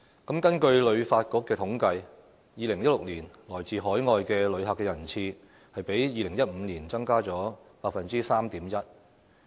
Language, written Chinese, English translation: Cantonese, 根據香港旅遊發展局的統計 ，2016 年來自海外的旅客人次，比2015年增加 3.1%。, According to the statistics from the Hong Kong Tourism Board the number of overseas visitor arrivals in 2016 increased by 3.1 % compared with 2015